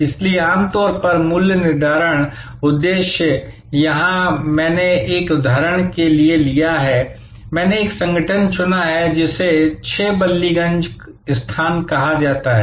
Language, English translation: Hindi, So, typically the pricing objective, here I have taken for an example, I have chosen an organization called 6 Ballygunge place